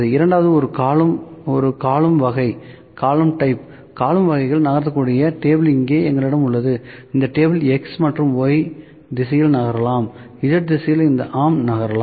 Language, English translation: Tamil, So, second one is column type, in column type we have the table that can move here this table can move in X and Y direction in Z direction this arm can move, ok